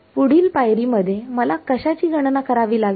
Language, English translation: Marathi, Next step would be to calculate